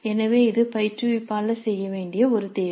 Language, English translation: Tamil, So this is a choice that the instructor must make